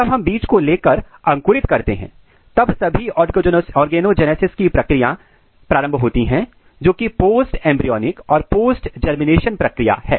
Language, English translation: Hindi, When we take the seed and when we put for the germination, then all the organogenesis or most of the organogenesis start which is as I said it is post embryonic and post germination